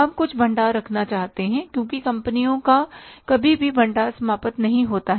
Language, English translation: Hindi, We want to keep some stock because companies never go out of stock